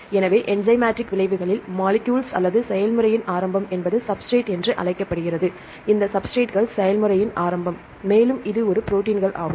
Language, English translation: Tamil, So, then in enzymatic reactions, the molecules or the beginning of the process are called the substrate here you can see this is the molecules which are beginning of the process they are called the substrates, this substrate here and this is a protein right